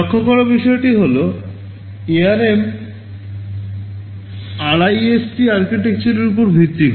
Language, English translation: Bengali, So, ARM is based on the RISC architecture